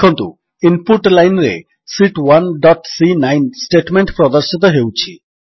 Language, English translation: Odia, Notice, that in the Input line the statement Sheet 1 dot C9, is displayed